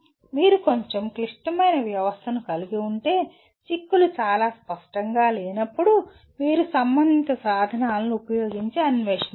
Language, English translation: Telugu, But if you have a little more complex system that is when the implications are not very obvious you have to explore using whatever relevant tools